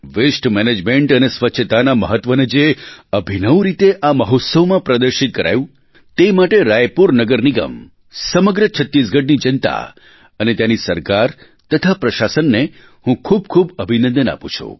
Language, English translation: Gujarati, For the innovative manner in which importance of waste management and cleanliness were displayed in this festival, I congratulate the people of Raipur Municipal Corporation, the entire populace of Chhattisgarh, its government and administration